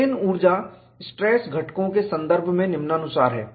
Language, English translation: Hindi, Strain energy in terms of stress components is as follows